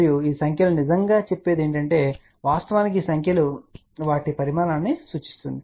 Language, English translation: Telugu, And what these numbers really say actually speaking these numbers signify their size